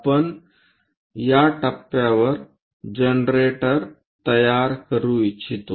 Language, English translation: Marathi, We would like to construct a generator at this point